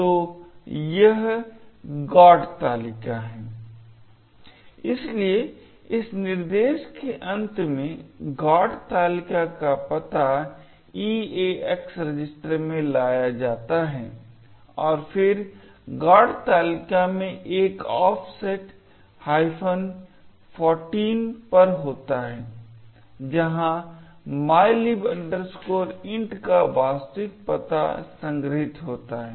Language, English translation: Hindi, So, this is the GOT table, therefore at the end of this instruction, the address of the GOT table is moved into the EAX register and then at an offset of 14 in the GOT table is where the actual address of mylib int is stored